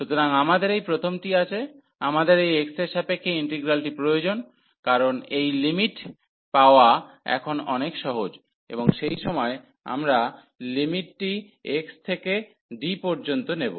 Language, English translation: Bengali, So, we have this first we need to get the integral with respect to x, because getting this limits are as much easier now and for the while we will put the limits from c to d